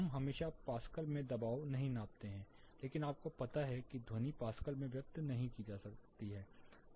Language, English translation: Hindi, We do not always pressure is measured in pascals, but sound you know is not expressed in pascals